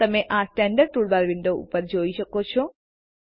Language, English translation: Gujarati, You can see the Standard toolbar on the window